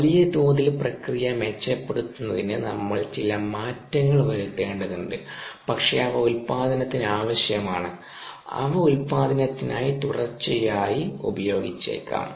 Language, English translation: Malayalam, we need to do some changes to improve the process at the large scale, but they might be stuck for production, ah, they might be used continuously for production